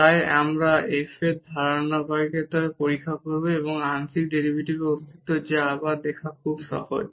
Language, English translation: Bengali, So, we will test the continuity of f and the existence of the partial derivative which is easy to see again